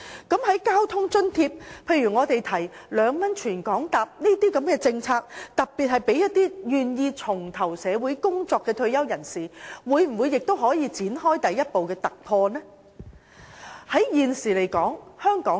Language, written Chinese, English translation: Cantonese, 在交通津貼方面，我們建議2元乘車優惠政策的受惠對象應特別包括願意重投社會工作的退休人士，政府能否展開第一步的突破呢？, In respect of transport subsidy we recommend that retirees willing to rejoin the workforce should particularly be covered as the target beneficiaries of the 2 - concessionary fare policy . Can the Government take this first step as a breakthrough?